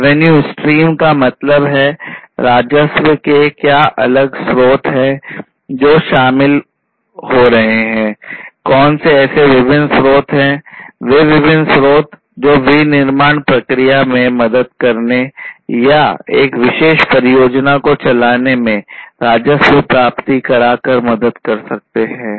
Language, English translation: Hindi, Revenue stream; revenue stream means like what are the different sources of the revenues that are coming in, what are the different sources that from different sources the revenue can come for helping in the manufacturing process or you know undertaking a particular project